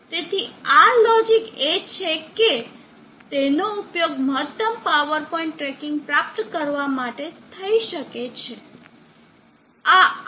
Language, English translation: Gujarati, So this is the login that one can use, for achieving maximum power point tracking